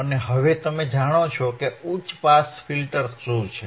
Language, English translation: Gujarati, And now you know, what are high pass filters